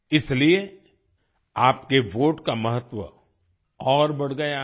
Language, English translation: Hindi, That is why, the importance of your vote has risen further